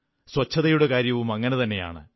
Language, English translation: Malayalam, Cleanliness is also similar to this